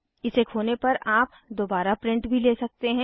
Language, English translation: Hindi, If you lose it, we can always another print out